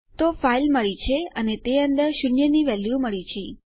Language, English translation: Gujarati, So, weve got our file and weve got our value of zero in it